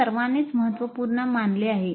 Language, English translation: Marathi, This is considered important by all